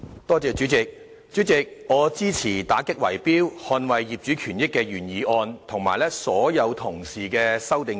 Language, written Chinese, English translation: Cantonese, 代理主席，我支持"打擊圍標，捍衞業主權益"的原議案和所有修正案。, Deputy President I support the original motion on Combating bid - rigging to defend the rights and interest of property owners and all the amendments